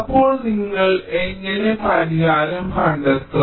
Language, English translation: Malayalam, ok, you can find the solution